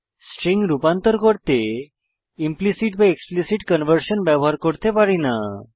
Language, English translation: Bengali, This means for converting strings, we cannot use implicit or explicit conversion